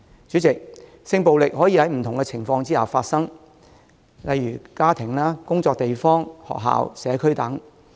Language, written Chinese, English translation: Cantonese, 主席，性暴力可以在不同的情況下發生，例如家庭、工作地方、學校、社區等。, President sexual violence can occur in different circumstances such as home environment workplace schools the community etc